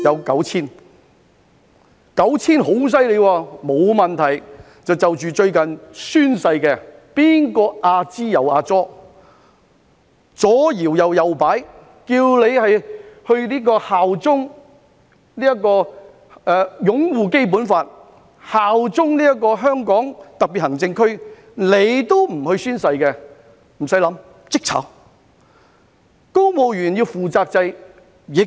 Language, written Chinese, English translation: Cantonese, 九千人是很大的數目，但沒有問題，就着最近宣誓的事宜，誰在"阿支阿左"，左搖右擺，不宣誓擁護《基本法》，效忠香港特別行政區，無須多想，立即解僱。, I would say there are at least 9 000 such people which is a lot but that is not a problem . Anyone who keeps nagging and wobbling on the recent issue of oath - taking and refuses to swear to uphold the Basic Law and swear allegiance to the Hong Kong Special Administrative Region should be dismissed right away without further thought